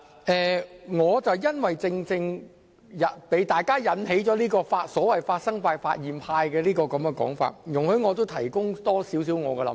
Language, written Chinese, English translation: Cantonese, 正正因為大家有所謂"發生派"或"發現派"的說法，容許我也提出更多我的看法。, Since views have been expressed from the so - called commission camp or the discovery camp let me give my views as well